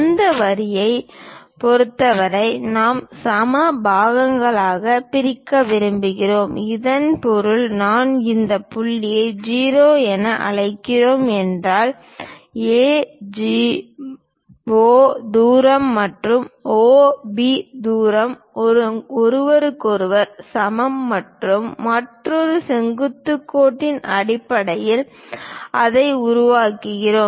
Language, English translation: Tamil, For this line, we would like to bisect into equal parts; that means if I am calling this point as O; AO distance and OB distance are equal to each other and that we construct it based on another perpendicular line